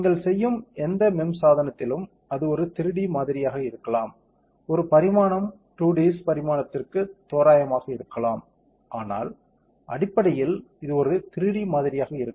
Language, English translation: Tamil, So, in any MEMS device that you do, it will be a 3D model may be one dimension might be very less that you can approximated to a 2Ds dimension, but fundamentally it will be a 3D model